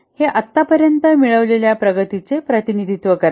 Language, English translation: Marathi, This represent the progress achieved so far